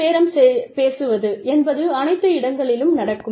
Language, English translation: Tamil, Collective bargaining, happens all the time